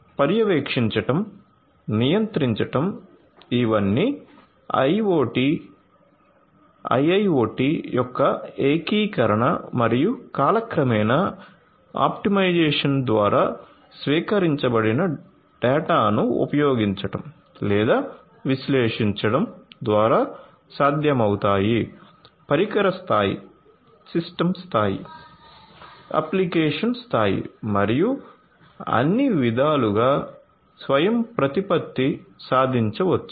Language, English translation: Telugu, So, monitoring, control these are all possible through the integration of IIoT and optimization over time using or analyzing the data that is received autonomy overall can be achieved autonomy in all respects device level, system level, application level and so on